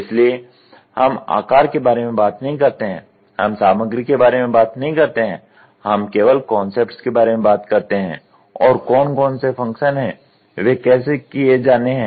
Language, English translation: Hindi, So, we do not talk about dimensions, we do not talk about the material, we just only talk about concepts form and whatever are the functions how are they to be done